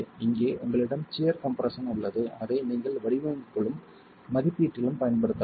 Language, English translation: Tamil, Here you have something that is sheer compression that you can play around with in design and for assessment